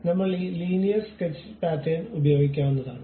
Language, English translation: Malayalam, For that we use this Linear Sketch Pattern